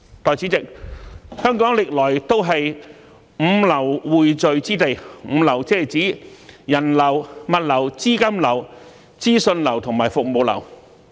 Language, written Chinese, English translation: Cantonese, 代理主席，香港歷來都是"五流"匯聚之地，"五流"是指人流、物流、資金流、資訊流和服務流。, Deputy President Hong Kong has always been a point of convergence for five flows namely the flow of people goods capital information and services